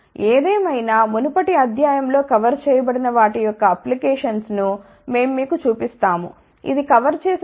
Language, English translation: Telugu, However, we will show you the applications of what was covered in the previous lecture, which was one of the device covered was PIN diode